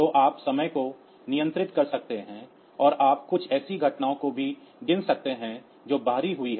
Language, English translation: Hindi, So, you can you can control the timing and you can also count some event that has occurred external